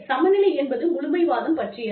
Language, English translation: Tamil, Equality is about absolutism